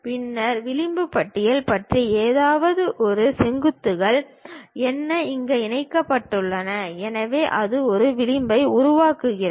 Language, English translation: Tamil, And then something about edge list, what are those vertices connected with each other; so, that it forms an edge